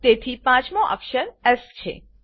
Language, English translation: Gujarati, Therefore, the 5th character is S